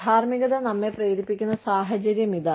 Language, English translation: Malayalam, This is the situation, that ethics put us in